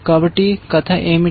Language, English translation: Telugu, So, what is the story